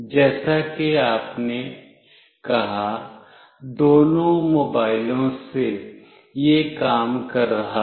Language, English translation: Hindi, As you said from both the mobiles, it was working